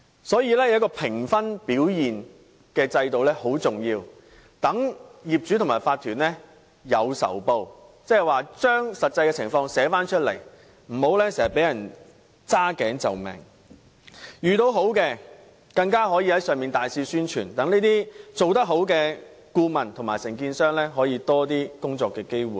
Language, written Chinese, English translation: Cantonese, 所以，評分的制度很重要，可令業主和法團"有仇報"，將實際情況寫出來，無須經常"揸頸就命"；而遇到好的公司時，更可以大肆宣傳，令這些做得好的顧問和承建商可以得到多些工作機會。, Therefore an assessment system is most important as it enables owners and OCs to take a revenge by making a write - up of the actual situation without having to make a compromise passively and when they come across scrupulous companies they can extensively advertise for them so that these well - performed consultants and contractors can have more opportunities of taking up such works